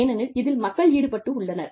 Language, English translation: Tamil, Because, people are involved